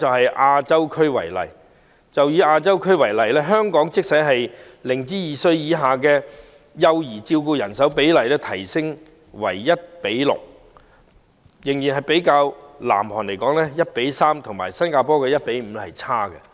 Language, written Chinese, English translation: Cantonese, 以亞洲區為例，即使香港將0至2歲以下幼兒的照顧人手比例優化為 1：6， 仍落後於南韓的 1：3 和新加坡的 1：5。, Take the Asian region as an example . Even if the manning ratio for care services for children aged 0 to under 2 is enhanced to 1col6 in Hong Kong it still lags behind the ratio of 1col3 in South Korea and the ratio of 1col5 in Singapore